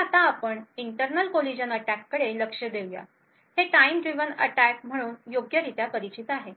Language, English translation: Marathi, So, we will now look at internal collision attacks these are properly known as time driven attacks